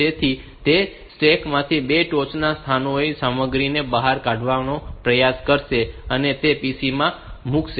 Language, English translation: Gujarati, So, it will try to take out the content of the top to top most locations from stack and put them into the pc